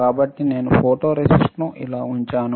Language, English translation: Telugu, So, let me put photoresist like this